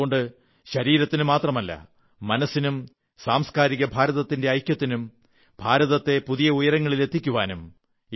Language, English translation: Malayalam, And so, not just our body, but our mind and value system get integrated with ushering unity in India to take India to loftier heights